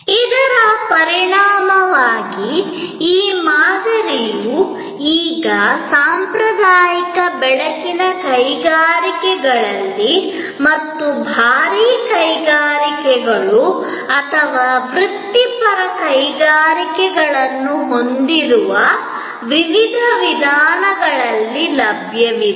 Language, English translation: Kannada, As a result, we find that, this model is now available in number of different ways in very traditional light industries as well as having heavy industries or professional industries